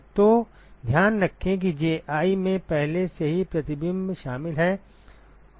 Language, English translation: Hindi, So, keep in mind that Ji already includes reflection